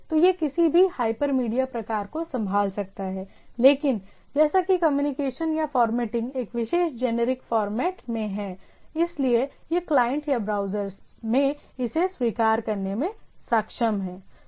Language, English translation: Hindi, So, it is a some sort of a, it can handle any hyper media type of thing but as the as the communication or the formatting is in a particular generic format, so it is able to that at the client or the browser able to accept it